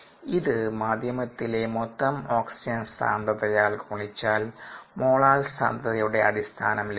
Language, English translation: Malayalam, if we multiply by the total oxygen concentration and the medium, it becomes on a concentration basis, ah